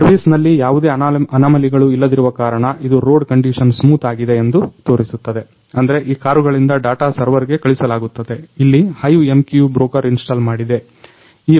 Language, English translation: Kannada, So, it simply shows road condition is smooth; that means, from these car the data is transmitted into the server here the HiveMQ broker is installed